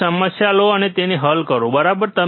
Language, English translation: Gujarati, Take a problem and solve it, right